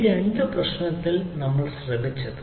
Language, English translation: Malayalam, that we have seen in this problem